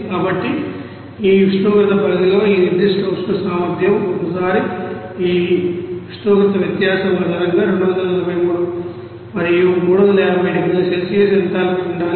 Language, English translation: Telugu, So, once you know this specific heat capacity within this range of temperature then based on this temperature difference of this 243 and 350 degree Celsius what should be the enthalpy